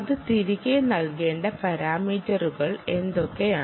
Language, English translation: Malayalam, so what are the parameters it will have to provide back